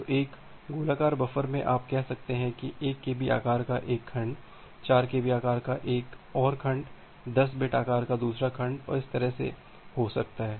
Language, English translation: Hindi, So, in a circular buffer you can have one segment of say 1 kb size, another segment of having 4 kb size, another segment of having 10 bit size and that way